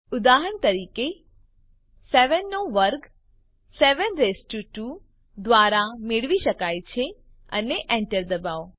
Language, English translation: Gujarati, for example, 7 square can be found by 7 raised to 2 and press Enter